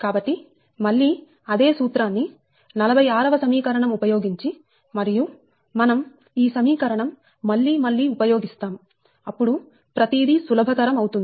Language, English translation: Telugu, so, using that same formula, that equation, this forty six, again and again, we will use this one right, use this equation again and again